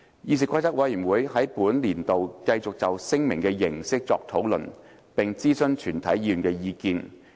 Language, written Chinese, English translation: Cantonese, 議事規則委員會在本年度繼續就聲明的形式作出討論，並徵詢全體議員的意見。, During this year the Committee continued to discuss and consult Members on the form of the declaration